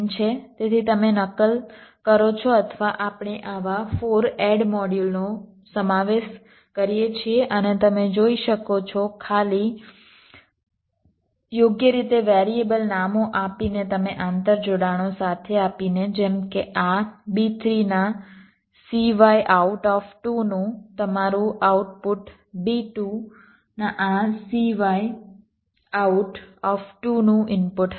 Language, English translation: Gujarati, so you instantiate or we include four such add modules and you see, just by giving the variable names appropriately, you provide with the interconnections, like your output of this b three, c y out, two will be the input of this c out two, a, b, two